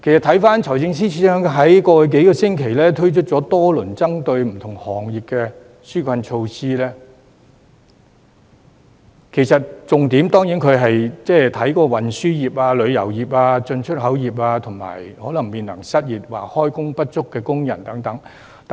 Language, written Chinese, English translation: Cantonese, 回看財政司司長在過往數星期推出多項針對不同行業的紓困措施，其重點對象當然是運輸業、旅遊業、進出口業及面臨失業或開工不足的工人等。, Viewed in retrospect the major targets of a number of relief measures introduced by the Financial Secretary in the past few weeks are certainly different industries such as transport tourism import and export as well as workers facing unemployment or under - employment